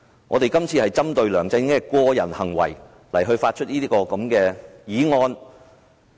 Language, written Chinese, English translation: Cantonese, 我們今次是針對梁振英的個人行為提出這項議案。, This motion is related to the personal behaviour of LEUNG Chun - ying